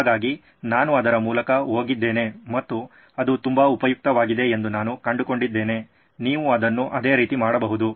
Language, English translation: Kannada, So that is I went through it and I found it to be very useful, you can do it the same way as well